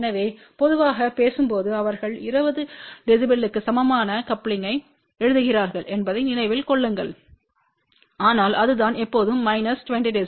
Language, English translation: Tamil, So, generally speaking remember they do write coupling equal to 20 db , but it is always minus 20 db